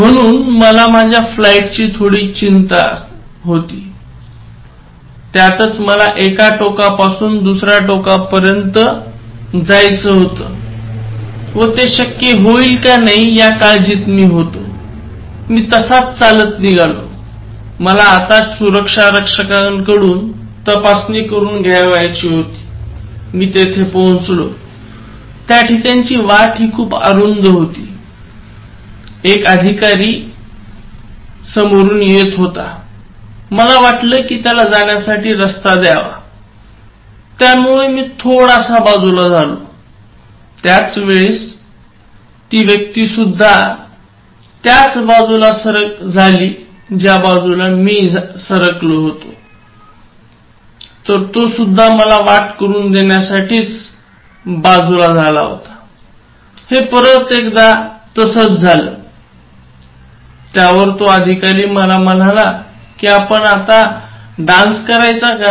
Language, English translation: Marathi, So I was bit concerned about my flight, whether I will be able to take it because I am taking it from one end I am going to the other end, so in that seriousness, like I was just walking and then I am supposed to reach the security check, so on the path towards security check, another officer was coming and it was a narrow path, so I thought that I should give him way, so I just moved this side so, spontaneously he also moved this side, so then I moved this side, so he also moved this side, so the next time I started making a moment this side, so he immediately said, shall we dance, the moment he said shall we dance, so I just laughed and then I stopped, I said, so I think you should go first and then he went